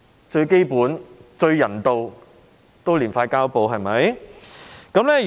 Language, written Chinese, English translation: Cantonese, 最基本、最人道也應貼上膠布，對嗎？, The most basic and humane response is to apply a Band - Aid is it not?